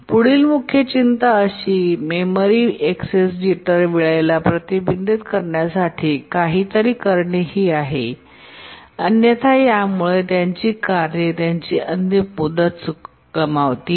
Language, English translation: Marathi, We need to do something to prevent such access memory access jitter times, otherwise this will lead to tasks missing their deadline